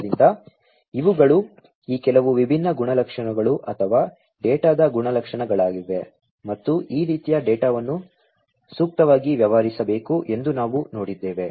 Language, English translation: Kannada, So, these are some of these different attributes or the characteristics of the data and we have seen that these this type of data will have to be dealt with appropriately